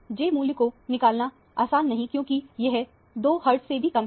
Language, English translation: Hindi, j value is not easy to determine because it is much less than 2 hertz or so